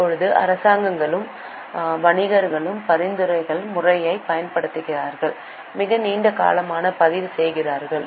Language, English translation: Tamil, Now, governments and merchants has been using the system of transactions recording for a very long time